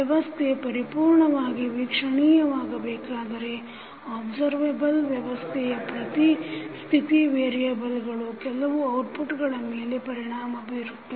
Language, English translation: Kannada, Now, the system is completely observable if every state variable of the system affects some of the outputs